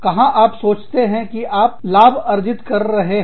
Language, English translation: Hindi, Where do you think, you are making profits